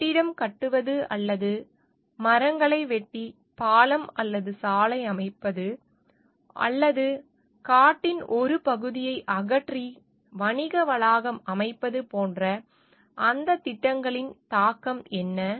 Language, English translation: Tamil, And what the impact of those projects, like building making a building making or building a bridge or a road by cutting trees or making a mall by removing a part of the forest